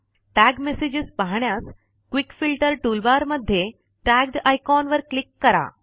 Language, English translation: Marathi, To view messages that are tagged, from the Quick Filter toolbar, click on the icon Tagged